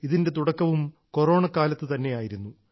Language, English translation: Malayalam, This endeavour also began in the Corona period itself